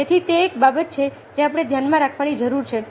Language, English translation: Gujarati, so this is another issue that needs to be kept in mind